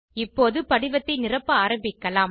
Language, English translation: Tamil, Now, start filling the form